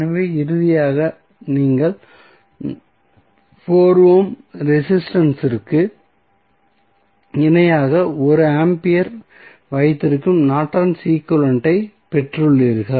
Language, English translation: Tamil, So, finally you got the Norton's equivalent where you have 1 ampere in parallel with 4 ohm resistance